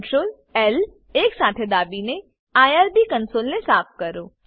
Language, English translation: Gujarati, Press ctrl, L keys simultaneously to clear the irb console